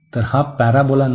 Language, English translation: Marathi, So, this is not the parabola